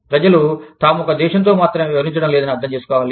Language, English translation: Telugu, People, need to understand, that they are not dealing with, one country alone